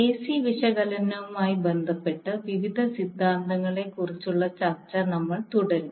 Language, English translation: Malayalam, So we will continue our discussion on various theorems with respect to AC analysis